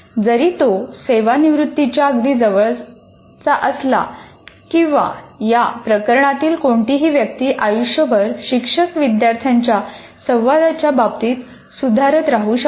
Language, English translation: Marathi, Even if he is close to retirement or any person for that matter, lifelong can continue to improve with regard to teacher student interaction